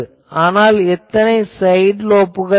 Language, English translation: Tamil, But, how many side lobes are there